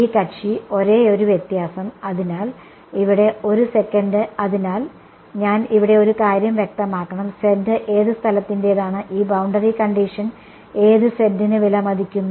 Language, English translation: Malayalam, This guy, the only difference is; so over here 1 sec, so one thing I should make clear here z belongs to which place; this boundary condition is valued for which z